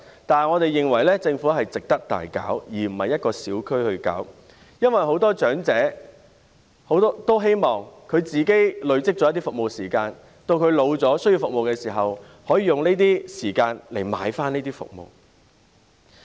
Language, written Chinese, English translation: Cantonese, 但是，我們認為這類計劃值得政府廣泛推行，而不單是在某個小區推行，因為很多長者都希望累積一些服務時間，當他們年老需要服務的時候，可以用這些時間來換這些服務。, However I think it is worthwhile for the Government to implement this kind of programmes extensively instead of confining it to just a small local community because many elderly people hope to accumulate some service hours so that they can use the hours to exchange for services when they are old and need this kind of services